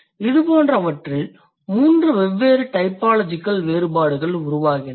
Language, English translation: Tamil, So, in such cases there are three different typological differences emerging